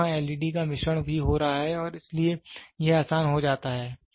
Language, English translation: Hindi, Today, there is a blend of led also getting and so, it becomes easy